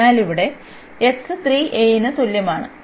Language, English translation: Malayalam, So, here x is equal to 3 a